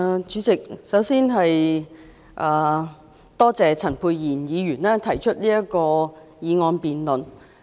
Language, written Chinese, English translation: Cantonese, 主席，我首先多謝陳沛然議員提出這項議案。, President first of all I thank Dr Pierre CHAN for moving this motion